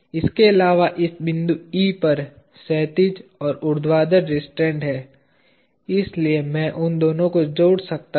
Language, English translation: Hindi, In addition there is at this point E there is horizontal and vertical restraints, so I can add those two